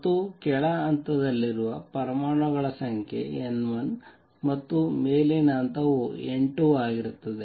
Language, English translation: Kannada, And number of atoms in the lower level being N 1 and the upper level being N 2